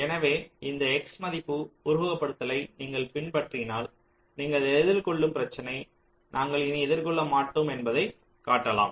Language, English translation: Tamil, so if you follow this x value simulation, it can be shown that the problem that you are facing, that we will not be facing anymore